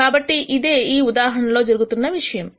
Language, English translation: Telugu, So, that is what is happening here in this example